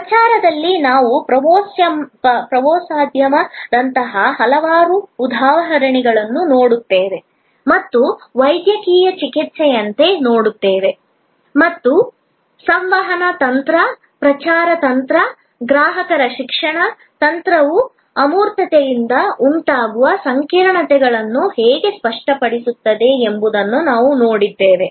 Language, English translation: Kannada, In promotion, we looked at number of examples like tourism or like a medical treatment and we saw how the communication strategy, the promotion strategy, the customer education strategy can tangible the complexities arising out of intangibility